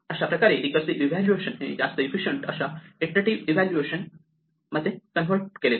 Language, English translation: Marathi, And this converts the recursive evaluation into an iterative evaluation, which is often much more efficient